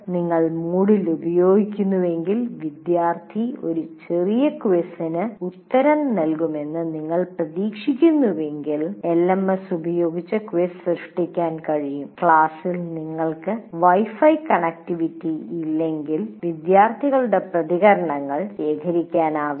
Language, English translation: Malayalam, If you are using Moodle and if you expect student to answer a small quiz, well, quiz can be created using LMS but the student's response also, unless you have a Wi Fi connectivity in the class, one cannot do